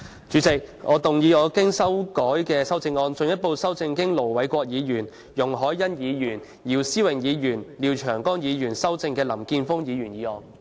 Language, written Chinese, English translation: Cantonese, 主席，我動議我經修改的修正案，進一步修正經盧偉國議員、容海恩議員、姚思榮議員及廖長江議員修正的林健鋒議員議案。, President I move that Mr Jeffrey LAMs motion as amended by Ir Dr LO Wai - kwok Ms YUNG Hoi - yan Mr YIU Si - wing and Mr Martin LIAO be further amended by my revised amendment